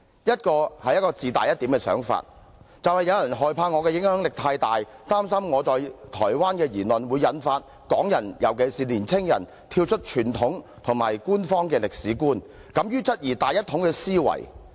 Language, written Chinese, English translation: Cantonese, 一個是自大一點的想法，就是有人害怕我的影響力太大，擔心我在台灣的言論會引發港人，尤其是年青人，跳出傳統及官方的歷史觀，敢於質疑大一統的思維。, One of them is rather self - flattering that is some people are afraid of my excessive influence and worried that the comments made by me in Taiwan will inspire Hong Kong people in particular young people to transcend the traditional and official historical perspective and to become brave enough to query the thinking of great unification